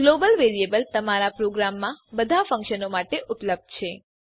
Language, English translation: Gujarati, A global variable is available to all functions in your program